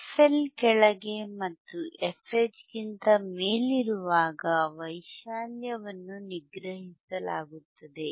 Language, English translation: Kannada, While below the fL and above fH, the amplitude is suppressed